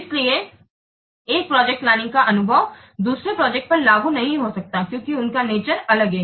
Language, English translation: Hindi, So the experience on one project may not be applicable to the other since the nature they are different